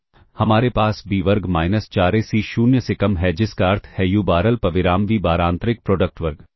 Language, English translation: Hindi, So, we have b square minus 4 a c less than or equal to 0 which means u bar comma v bar inner product square